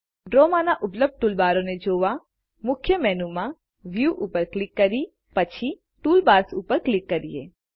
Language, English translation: Gujarati, To view the toolbars available in Draw, go to the Main menu and click on View and then on Toolbars